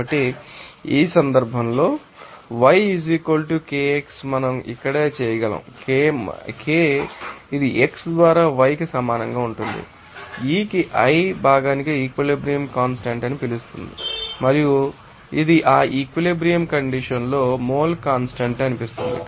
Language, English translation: Telugu, So, in this case this yi = Kixi from these we can right here Ki it will be equal to yi by xi this Ki called that equilibrium constant for the component i and this seems it is mole fraction at that equilibrium condition